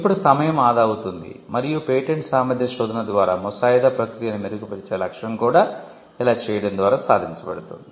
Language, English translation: Telugu, So, that time is saved and the objective of the patentability report improving the drafting process is also achieved by doing this